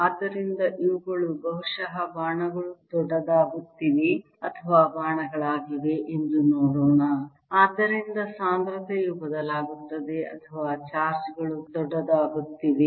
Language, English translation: Kannada, so let's see that d is maybe arrows are getting bigger, or arrows, so density varies, or the charges are becoming bigger